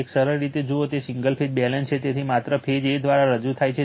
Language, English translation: Gujarati, A simple a see as if it is a single phase balanced, so represented by only phase a right